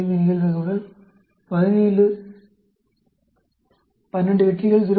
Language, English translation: Tamil, 5, 12 successes out of 17 with the probability of 0